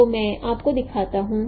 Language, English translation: Hindi, So let me show you